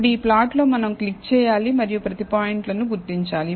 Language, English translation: Telugu, Now, on this plot, we will need to click and identify each of the points